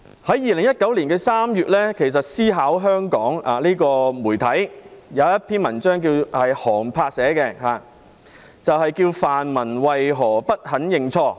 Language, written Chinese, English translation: Cantonese, 在2019年3月，媒體"思考香港"刊登一篇寒柏寫的文章，題為"泛民為何不肯認錯？, In March 2019 the media Think Hong Kong published an article written by Han Bai entitled Why the democrats did not admit their mistakes